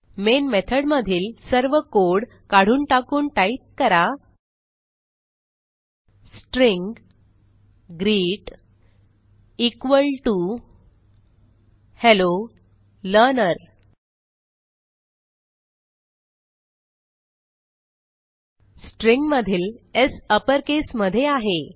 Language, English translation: Marathi, remove everything inside the main method and type String greet equal to Hello Learner : Note that S in the word String is in uppercase